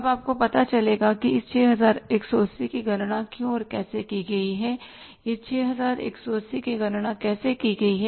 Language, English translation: Hindi, Now you will find out why and how this 618 has been calculated